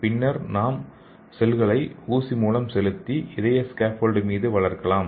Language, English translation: Tamil, Then we can inject the cells and grow on the top of this heart okay